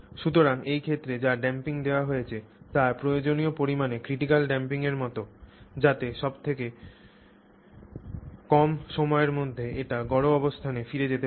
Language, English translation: Bengali, So, the damping provided in this case was like the critical amount of damping required to get it back to the mean position in the shortest period of time